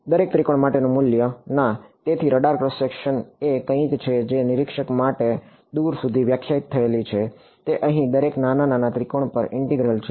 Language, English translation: Gujarati, A value for each triangle at; no; so, the radar cross section is something that is defined for a observer far away is an integral over every little little triangle over here